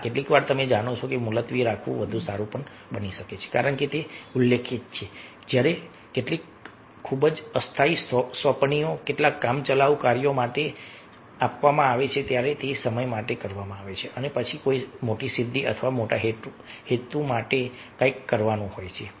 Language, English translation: Gujarati, yeah, sometimes you know it's better to adjourn, as it is mentioned, that when some very temporary assignments, some temporary tasks have been given to be performed, and for the time being it is, it is done, and then for a big achievement or big purpose, big cause, something is to be done